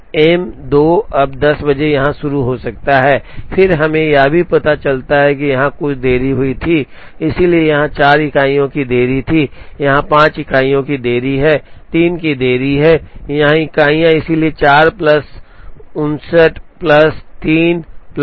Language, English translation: Hindi, So, M 2 can now start here at 10 and then we also realize that, there were some delays that happened here, so there was a delay of 4 units here, there is a delay of 5 units here, there is a delays of three units here, so 4 plus 5 9 plus 3 12